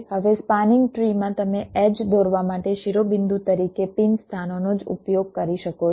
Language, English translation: Gujarati, now, in a spanning tree you can only use the pin locations has the vertices for drawing the edges